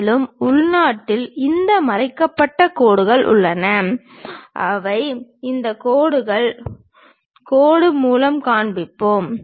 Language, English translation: Tamil, And, internally we have these hidden lines which are these lines, that we will show it by dashed lines